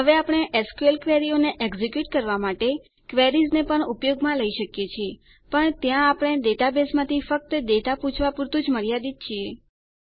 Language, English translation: Gujarati, Now, we can also use Queries to execute SQL queries, but there we are limited to only asking for data from the database